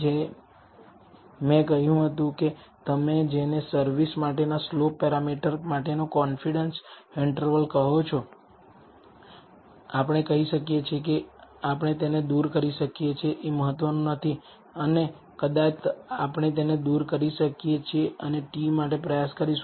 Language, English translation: Gujarati, As I said that from the, what you call, the confidence interval for the slope parameter for service, we can say that we can remove this it is insignificant and perhaps we can remove this and try the t